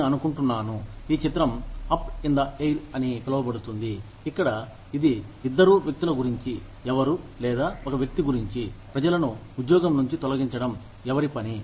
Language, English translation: Telugu, I think, the movie is called, Up in The Air, where it is a story about two people, who are, or, about one person, whose job is to, lay off people